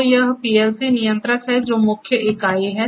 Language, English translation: Hindi, So, this is the PLC control panel